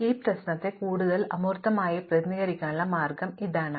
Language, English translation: Malayalam, So, here is the way to represent this problem more abstractly